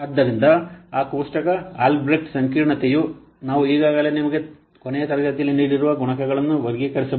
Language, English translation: Kannada, So that table albred that complexity classifiers, the multipliers we have already given you in the last class